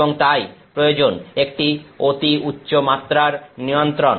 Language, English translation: Bengali, And therefore, a much higher level of control is required